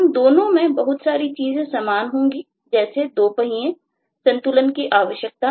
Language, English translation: Hindi, both of them have lot of things similar: two wheels, balancing required and all that